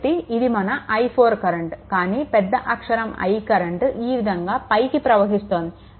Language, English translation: Telugu, So, this is your i 4, but this I is taken upward it going like these